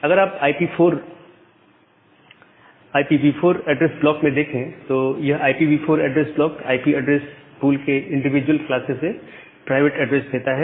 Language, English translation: Hindi, Now, if you look into the IPv4 address block; the IPv4 address block gives a private addresses from individual classes of IP address pool